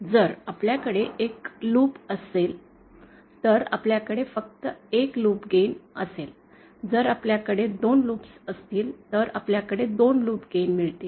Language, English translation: Marathi, So, if we have one loop, then we will have only one loop gain, if we have 2 loops, then we will have 2 loops games